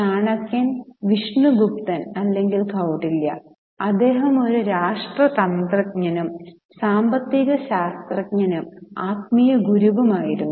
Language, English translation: Malayalam, Chanakya or Vishnu Gupta or Kautiliya, he was a statesman, economist and also a spiritual guru